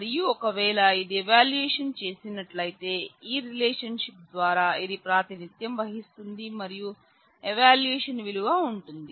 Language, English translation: Telugu, And if it has an evaluation then the; this through this relationship it will be represented and the evaluation value will exist